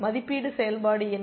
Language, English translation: Tamil, What is the evaluation function